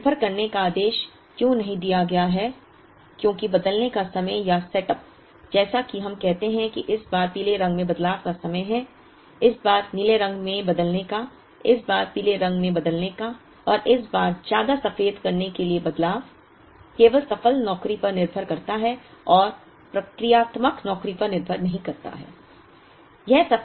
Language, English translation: Hindi, The reason why it is not order dependent is because the time to changeover or setup as we call which is this time to changeover to yellow, this much time to changeover to the blue, this much time to changeover to the yellow and this much time to changeover to the white, depends only on the succeeding job and does not depend on the procedural job